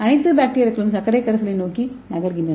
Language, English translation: Tamil, All the bacteria moving towards the sugar solution